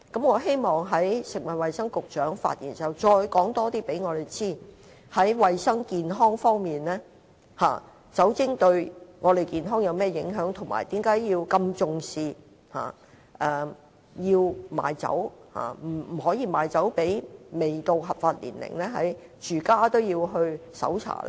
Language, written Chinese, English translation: Cantonese, 我希望食物及衞生局局長在稍後發言時，可告訴我們更多在衞生健康方面，酒精對我們的健康有甚麼影響，以及為何要如此重視不能賣酒予未滿合法年齡的人，甚至連住所也要搜查呢？, I hope the Secretary for Food and Health will tell us later on about the impact of alcohol on our health and well - beings as well as why the authorities attach much importance to the sale of liquor to minors therefore even domestic premises have to be search?